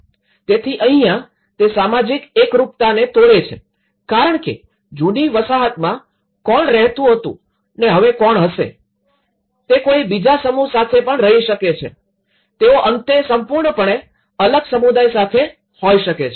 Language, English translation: Gujarati, So, here, which actually breaks the social bondages because who was living in the old settlement and now, they may live with some other group, they may end up with completely different community